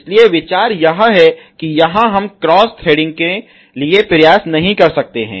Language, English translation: Hindi, So, idea is that here we cannot effort to have a cross threading ok